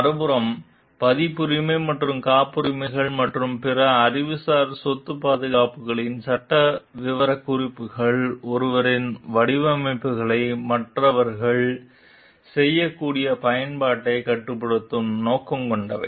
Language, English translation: Tamil, On the other hand, legal specifications of copyrights and patents and other intellectual property protections are intended to limit the use of that others can make of one s designs